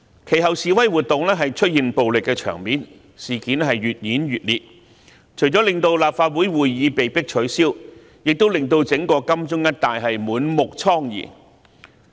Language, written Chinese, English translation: Cantonese, 其後，示威活動出現暴力場面，事件越演越烈，除了令立法會會議被迫取消，亦令金鐘一帶滿目瘡痍。, Later the protest became increasingly violent resulting in the cancellation of the Legislative Council meeting and causing extensive devastation in areas around Admiralty